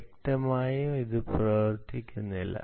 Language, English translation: Malayalam, obviously it would not going to work